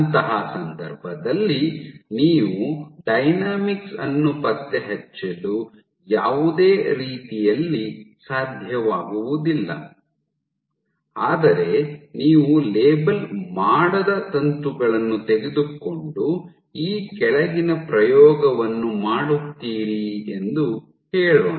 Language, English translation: Kannada, So, in that case you are in no way to track the dynamics, but let us say you do the following experiment in which you take unlabelled filaments